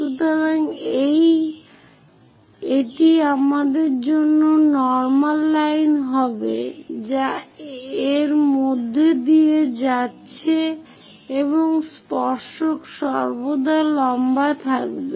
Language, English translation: Bengali, So, this will be the normal line for us which is going via that and tangent always be perpendicular to that that will be tangent